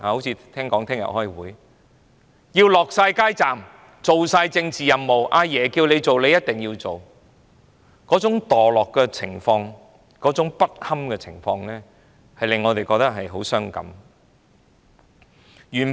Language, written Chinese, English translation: Cantonese, 聽說明天要開會，也要設立街站，完成政治任務，總之"阿爺"要做的便一定要做，其墮落和不堪的情況令我們感到很傷感。, It is heard that a meeting will be held tomorrow and street booths will also be set up to accomplish this political mission . In short what is instructed by grandpa must be done and it is really saddening to see how low and bad the Government has become